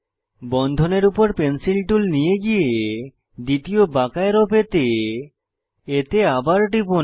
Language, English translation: Bengali, Shift the Pencil tool a little on the bond, click again to get second curved arrow